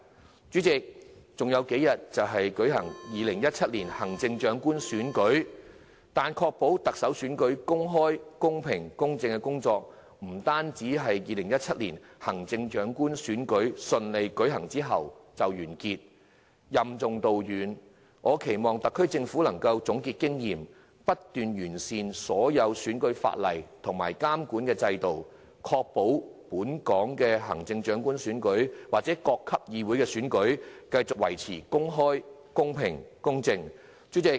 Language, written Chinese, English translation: Cantonese, 代理主席，還有數天就舉行2017年行政長官選舉，但確保特首選舉公開、公平及公正的工作，不單是2017年行政長官選舉順利舉行之後就完結，我期望特區政府能任重道遠，總結經驗，不斷完善所有選舉法例及監管制度，確保本港的行政長官選舉或各級議會的選舉繼續保持公開、公平、公正。, Deputy President the 2017 Chief Executive Election will take place in a few days time but the work to ensure an open fair and equitable conduct of a Chief Executive Election will not end after the successful conduct of the 2017 Chief Executive Election . We expect the SAR Government to assume this important responsibility through thick and thin sum up the experience and continue to improve the legislation relating to elections and the monitoring system so as to ensure the elections of the Chief Executive and various councils will continue to be conducted openly fairly and equitably